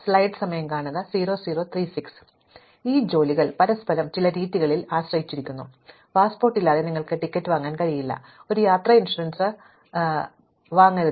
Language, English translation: Malayalam, Now, these tasks are dependent on each other in certain ways, without a passport you cannot buy a ticket, not even buy any travel insurance